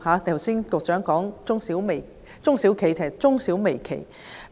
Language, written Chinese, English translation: Cantonese, 局長剛才提到中小企，實應為中小微企。, The Secretary mentioned SMEs just now but they are in fact micro small and medium enterprises